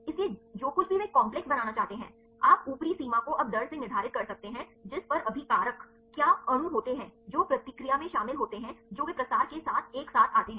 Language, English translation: Hindi, So, whatever they want to make a complex, you can see the upper limit now determine by rate at which the reactants what are the molecules which are involved in the reaction they come close together by diffusion